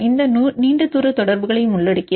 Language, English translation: Tamil, This also involves long range interactions